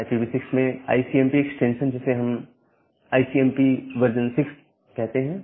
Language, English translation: Hindi, So, the ICMP extension in IPv6 we call it as, ICMP version 6